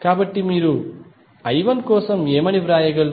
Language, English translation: Telugu, So, what you can write for I 1